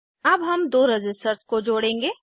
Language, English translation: Hindi, We will now interconnect two resistors